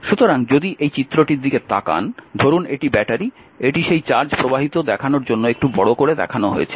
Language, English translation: Bengali, So, if you look at this, suppose this is battery this is shown little bit you know bigger way to show that your charge flowing